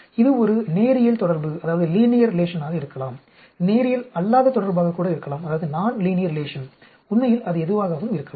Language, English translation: Tamil, It may be a linear relation, non linear relation, it could be anything actually